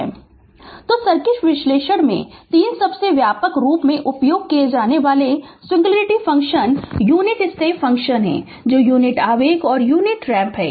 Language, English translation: Hindi, So, in circuit analysis the 3 most widely used singularity function are the unit step function the units impulse and the unit ramp